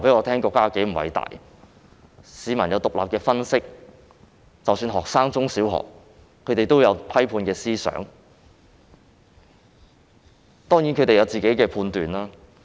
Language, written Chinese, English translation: Cantonese, 他們有獨立分析，即使中小學生也有批判性思想及獨立的判斷。, They all have independent thinking and even primary and secondary school students have critical thinking and independent judgment